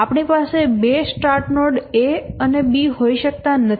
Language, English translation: Gujarati, We cannot have two start nodes, A and B